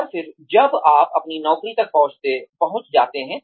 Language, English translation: Hindi, And then, when you reach your job